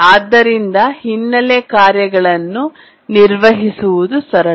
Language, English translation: Kannada, So, handling background tasks is simple